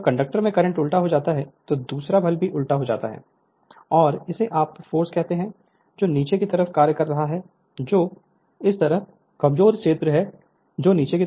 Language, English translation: Hindi, When the current in the conductor is reversed that is the second diagram right the force is also reverse and it is your what you call force is acting on the downwards that is weaker field this side and here also right